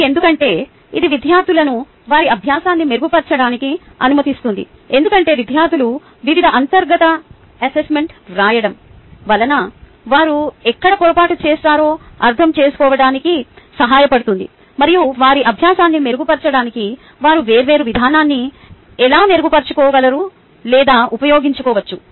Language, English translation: Telugu, what it does is it allows students to improve their learning because, going through it various ah um internal assessment, which is formative, it helps them understand where they have made mistake and how they can improve or use different approach to improve their learning